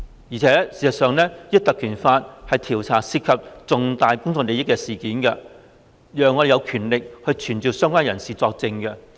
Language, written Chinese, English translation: Cantonese, 而事實上，《條例》賦予我們權力，可調查涉及重大公眾利益的事件，並傳召相關人士作證。, In fact PP Ordinance has vested in us powers to inquire into matters involving significant public interest and summon the persons concerned to give evidence